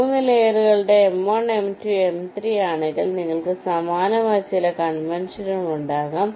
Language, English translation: Malayalam, ok, in case of three layers m one, m two, m three you can have some similar conventions